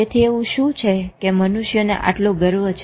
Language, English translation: Gujarati, So what is it that we human beings are so proud of